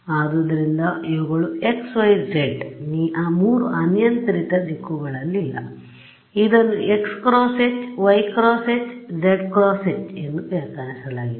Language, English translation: Kannada, So, these are not along x hat y hat z hat 3 arbitrary directions which are defined as x hat cross H y hat cross H z hat cross H ok